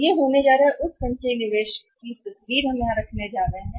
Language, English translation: Hindi, So, this is going to be the picture of that cumulative investment we are going to have here